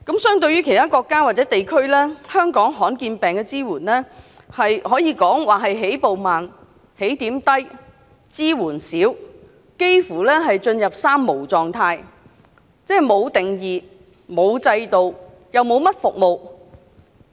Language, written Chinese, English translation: Cantonese, 相對其他國家或地區，香港對罕見病的支援可以說是，起步慢、起點低、支援少，而且幾乎進入"三無"狀態，即沒有定義、沒有制度、沒有甚麼服務。, In comparison to the support provided to rare disease patients in other countries or places the support provided by the Hong Kong Government is late to start small in number and scanty in amount and almost in a state of three - no that is no definition no system and almost no services